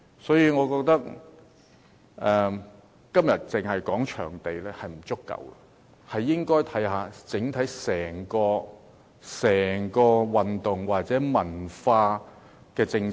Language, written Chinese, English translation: Cantonese, 所以，我覺得今天只討論場地並不足夠，還需要全面檢討整體的體育及文化政策。, Therefore I think it is not enough for us to discuss only about venues today . We need to have a complete review on the overall sports and cultural policy as well